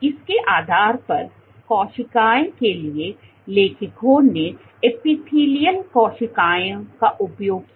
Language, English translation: Hindi, Based on that the authors for cells using epithelial cells